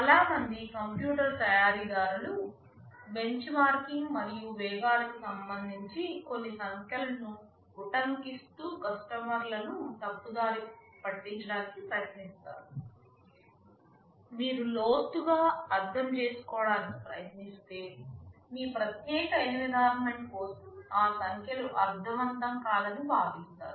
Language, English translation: Telugu, Most of the computer manufacturers try to mislead the customers by quoting some figures with respect to benchmarking and speeds, which if you dig deeper and try to understand, you will actually feel that for your particular environment those numbers make no sense